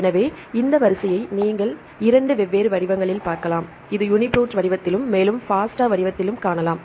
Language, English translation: Tamil, So, you can see this sequence in two different formats, either you can see this is the UniProt format and also you can see the FASTA format what is FASTA format